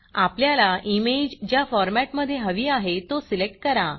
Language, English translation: Marathi, Select the file format in which you want your image to appear